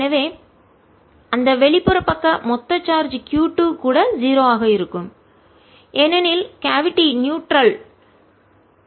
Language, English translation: Tamil, so that outerside total charge q two, velocity zero because the cavities is neutral